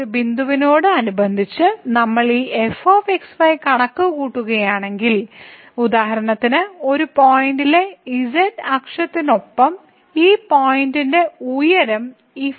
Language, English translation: Malayalam, So, corresponding to this point, if we compute this , then for instance this is the point here the height this in along the z axis at this point of this function is